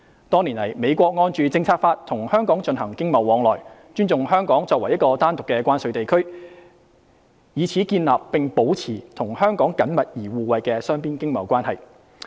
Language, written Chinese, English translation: Cantonese, 多年來，美國按《政策法》與香港進行經貿往來，尊重香港作為一個單獨的關稅地區，以此建立並保持與香港緊密而互惠的雙邊經貿關係。, Over the years the United States has been conducting economic and trade exchanges with Hong Kong in accordance with the Policy Act and respecting Hong Kong as a separate customs territory and on this basis it has established and maintained close and mutually beneficial bilateral economic and trade relations with Hong Kong